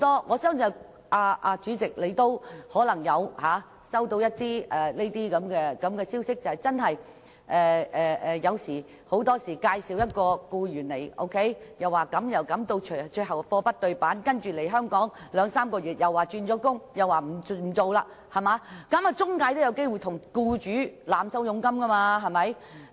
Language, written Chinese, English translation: Cantonese, 我相信主席也可能曾接獲這類投訴，就是很多時候職業介紹所向僱主介紹外傭時說有百般好，最終卻"貨不對辦"，外傭來港兩三個月後便說要轉工等，令職業介紹所有機會向僱主濫收佣金。, I believe Chairman has received complaints of such kind often the employment agency says all sorts of good things about the foreign domestic helper when making referrals to the employer who eventually finds out the product does not match the description resulting in situations such as the foreign domestic helper asking to change jobs after arrival in Hong Kong for two or three months thereby creating an opportunity for the employment agency to overcharge commissions from the employer